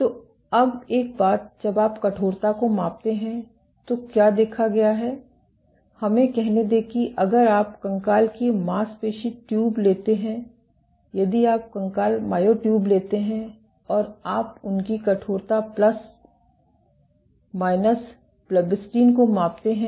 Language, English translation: Hindi, So now, one thing when you measure the stiffness, what has been observed let us say if you take skeletal muscle tubes; if you take skeletal myotubes and you measure their stiffness plus/minus blebbistatin